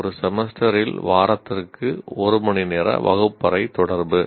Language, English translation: Tamil, One hour of classroom interaction per week over a semester